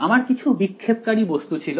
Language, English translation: Bengali, I had some scattering object